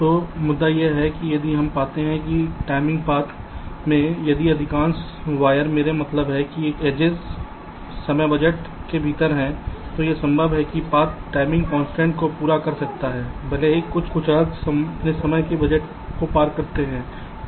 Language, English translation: Hindi, ok, so the point is that if we find that in a timing path, if most of the where i means edges are within the timing budget, then it is possible that the path can meet the timing constrains the entire path, even if some arcs cross their timing budget